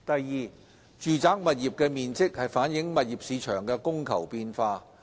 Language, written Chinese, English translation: Cantonese, 二住宅物業的面積反映物業市場的供求變化。, 2 The size of residential properties reflects changes in the supply and demand of the property market